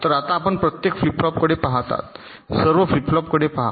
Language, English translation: Marathi, so now you see, you look at each of the flip flops, look at all the flip flops